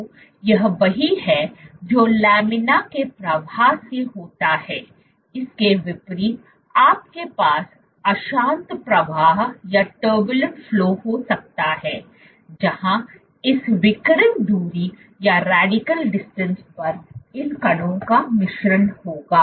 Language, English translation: Hindi, So, this is what is meant by laminar flow in contrast you can have turbulent flow where there will be mixing of these particles across this radial distance